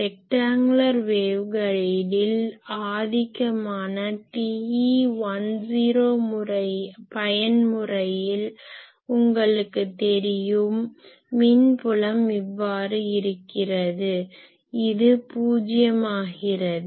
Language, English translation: Tamil, In the rectangular wave guide in the dominant TE10 mode you know that electric field is like this, this goes to 0